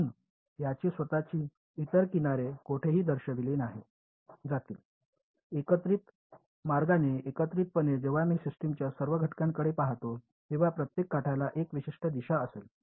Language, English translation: Marathi, So, this guy will have its own other edges pointed any where, combined in the combined way when I look at all the elements of the system every edge will have a unique direction